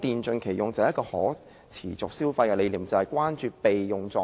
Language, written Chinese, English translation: Cantonese, 主席，一個可持續消費的理念，便是關注電器的備用狀態。, President the concept of sustainable consumption involves the concern about the standby mode of electrical appliances